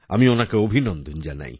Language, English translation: Bengali, I congratulate him